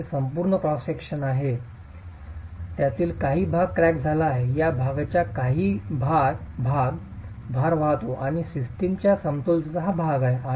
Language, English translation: Marathi, We have the entire cross section, part of it is cracked, part of the section is carrying loads and is part of the equilibrium of the system